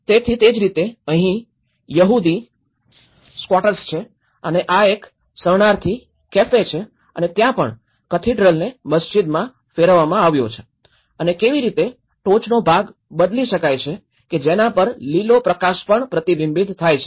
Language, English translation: Gujarati, So, similarly, there is Jewish squatters and this is a refugee cafe and there is also how a cathedral has been converted into the mosque and how the top part is replaced and a green light which is also the colour of the light is also reflected